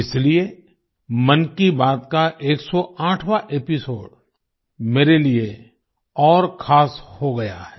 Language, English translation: Hindi, That's why the 108th episode of 'Mann Ki Baat' has become all the more special for me